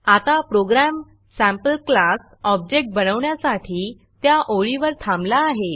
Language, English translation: Marathi, The program has now stopped at the line to create a SampleClass object